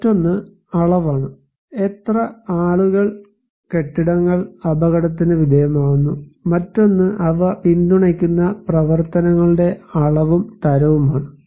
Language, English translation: Malayalam, Another one is the quantity; how many people or structure or buildings are exposed to the hazard, another one is the amount and type of activities they support